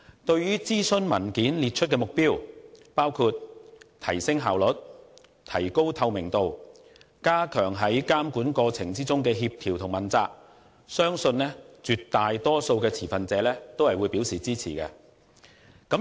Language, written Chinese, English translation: Cantonese, 對於諮詢文件列出的目標，包括提升效率、提高透明度及加強在監管過程中的協調和問責，我相信絕大多數的持份者都會表示支持。, I believe an overwhelming majority of stakeholders will agree to the objectives set out in the consultation paper such as enhancing efficiency raising transparency and strengthening coordination and accountability in the regulatory process